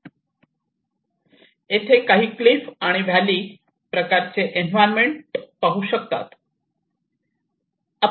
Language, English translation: Marathi, And then you can see some cliff kind of environment here and a valley sort of thing